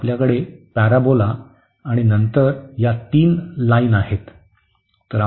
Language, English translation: Marathi, So, we have the parabola and then these 3 lines